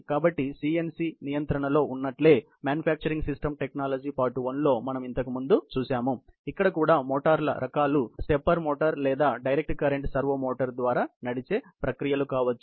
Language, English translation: Telugu, So, just as in CNC control, we head earlier seen in manufacturing systems technology, part 1; here also, the categories of motors can be either stepper motor driven processes or direct current servo motor driven processes